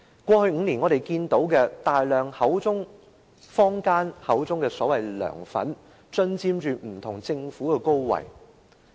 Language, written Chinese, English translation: Cantonese, 過去5年，我們聽到坊間說有大量的所謂"梁粉"進佔不同的政府高位。, Over the past five years we have heard comments in the community about a large number of the so - called LEUNGs fans having occupied different senior positions in the Government